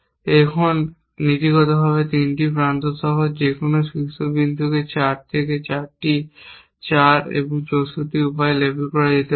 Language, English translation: Bengali, Now, any vertex with 3 edges coming to it in principle can be label in 4 into 4 into 4, 64 ways, so, 64 plus 64 plus 64 plus 16